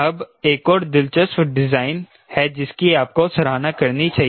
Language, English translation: Hindi, now there are another interesting design